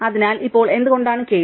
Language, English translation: Malayalam, So, now why is the case